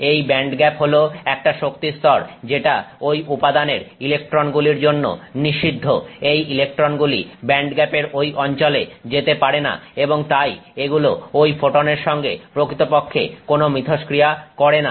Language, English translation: Bengali, It is the band gap is a set of energy levels that are forbidden for the electrons in that material and therefore this electron cannot go to that location in the band gap and therefore it actually does not interact with that with that photon